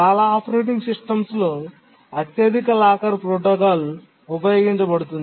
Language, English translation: Telugu, The highest locker protocol is used in many operating systems